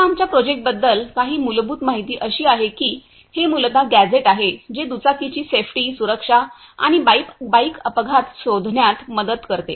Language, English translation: Marathi, Now some basic information about our project is, this is basically a gadget which help in bike safety, security and also help to detect the bike accident